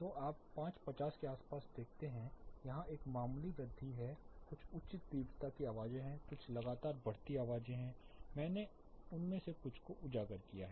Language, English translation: Hindi, So, around you know 5:50 there is a slight increase there are certain high intensity sounds, certain continuously increasing sounds I have highlighted some of them